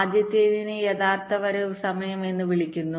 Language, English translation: Malayalam, first thing is called the actual arrival time